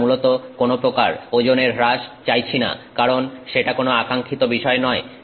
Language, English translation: Bengali, We basically don't want any weight loss because that is something that is undesirable